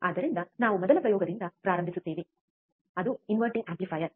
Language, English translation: Kannada, So, we will start with the first experiment, that is the inverting amplifier